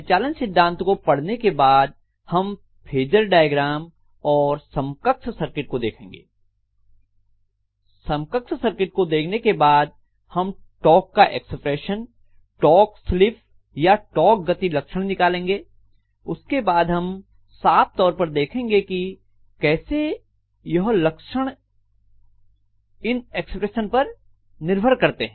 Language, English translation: Hindi, After looking at the principle of operation then we will be looking at phasor diagram and equivalent circuit, after looking at the equivalent circuit we will be able to derive the torque expression, torque slip or torque speed characteristics, then we will be clearly looking at how the characteristics are dependent upon these expressions